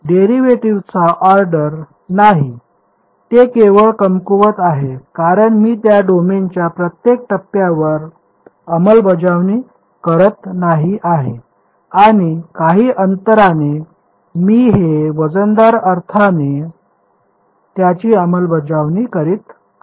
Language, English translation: Marathi, Not the order of derivatives it is simply weak because its I am not enforcing at every point in the domain I am enforcing it in a weighted sense over some interval